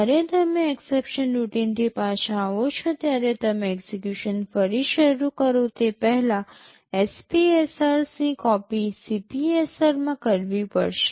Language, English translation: Gujarati, When you come back from the exception routine the SPSR has to be copied backed into CPSR before you resume execution